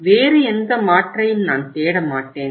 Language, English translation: Tamil, I will not look for any other alternative